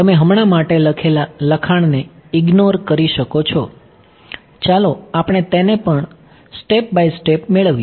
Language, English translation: Gujarati, You can ignore the text written for now let us just get to it step by step